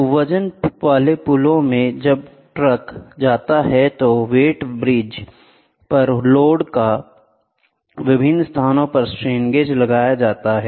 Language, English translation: Hindi, So, in the weighing bridges, when the truck goes there are strain gauges placed at different locations on the load on the weighbridge